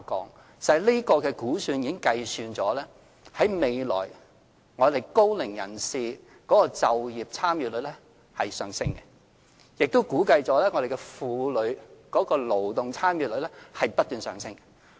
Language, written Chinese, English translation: Cantonese, 事實上，這個估算已計算了高齡人士就業參與率在未來的上升，亦估計婦女勞動參與率也不斷上升。, In fact this estimate has taken into account the future increase in the participation rate of the senior workforce as well as the estimated increase in the participation rate of the women workforce